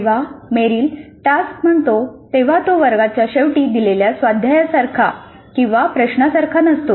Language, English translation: Marathi, Now when Merrill says task it is not like an exercise problem that we give at the end of the class